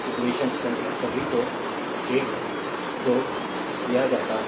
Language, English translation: Hindi, Equation numbers are all given 1 2 , right